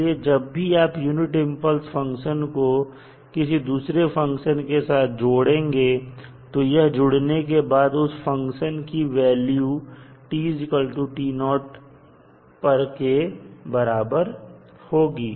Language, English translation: Hindi, So, whenever you associate unit impulse function with any other function the value of that particular combined function will become the function value at time t is equal to t naught